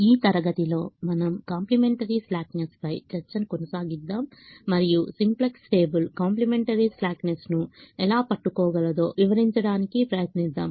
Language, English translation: Telugu, in this class we continue the discussion on the complimentary slackness and we we try to explain how the simplex table is able to capture the complementary slackness